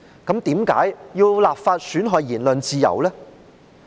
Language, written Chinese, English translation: Cantonese, 德國為何要立法來損害言論自由呢？, But why has Germany enacted legislation to undermine the freedom of speech?